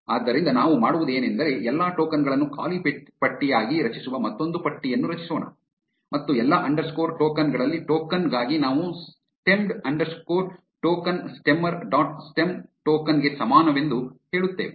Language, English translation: Kannada, So, what we will do is let us create another list called all tokens stemmed as a blank list and for token in all underscore tokens we say stemmed underscore token is equal to stemmer dot stem token